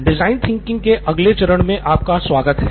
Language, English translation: Hindi, Hello and welcome back to the next stage of design thinking